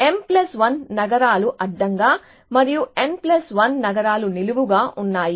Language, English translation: Telugu, There are m plus 1 cities in horizontally and n plus 1 cities vertically essentially